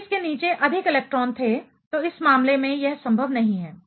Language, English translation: Hindi, If there was more electrons below this, in this case it is not possible